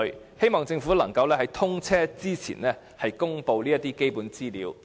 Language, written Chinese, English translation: Cantonese, 我希望政府能在通車前公布這些基本資料。, I hope that the Government can publish these basic information and data before the commissioning of HZMB